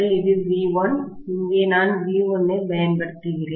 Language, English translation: Tamil, This is V1, here I am applying V1, yes